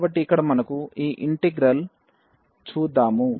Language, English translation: Telugu, So, what is this integral value here